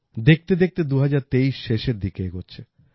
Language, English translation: Bengali, By and by, 2023 is moving towards its end